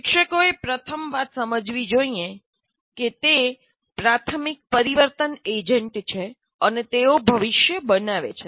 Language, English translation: Gujarati, Now let us first thing the teacher should know that they are the major change agents and they create the future